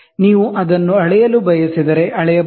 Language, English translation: Kannada, If you want to measure, you can do it